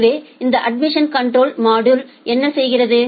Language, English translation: Tamil, So, what this admission control module does